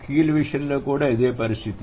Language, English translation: Telugu, Similar is the case with keel